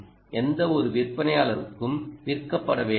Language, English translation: Tamil, dont be sold to any specific vendor, all vendors